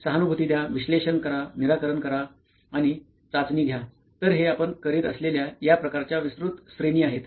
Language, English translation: Marathi, So empathize, analyze, solve and test so these are the sort of broad categories what we are doing